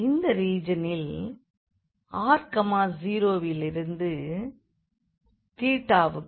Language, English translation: Tamil, So, r is moving from 0 to 1